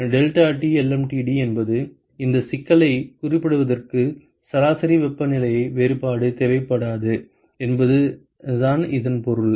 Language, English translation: Tamil, You will find out that deltaT lmtd is equal to basically what it means is that you do not require a log mean temperature difference to characterize this problem